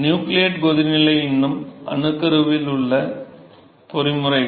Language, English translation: Tamil, Where it is still the nucleate boiling because still the mechanisms in nucleation